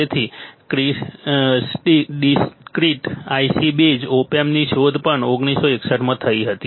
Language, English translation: Gujarati, So, discreet IC based op amps was first invented in 1961 ok